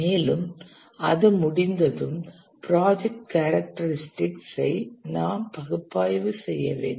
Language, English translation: Tamil, And once that is done, we need to analyze the project characteristics